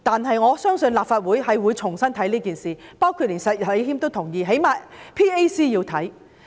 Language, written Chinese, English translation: Cantonese, 不過，我相信立法會應重新審視整件事，包括石禮謙議員亦贊同，至少 PAC 應要調查。, Having said that I believe the Legislative Council should revisit the entire issue for Mr Abraham SHEK also agrees that at least the Public Accounts Committee should investigate it